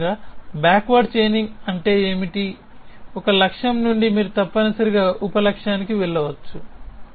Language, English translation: Telugu, Essentially, what backward chaining is saying is that from a goal you can move to a sub goal essentially